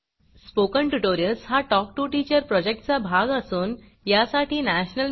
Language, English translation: Marathi, Spoken Tutorials are part of the Talk to a Teacher project, supported by the National Mission on Education through ICT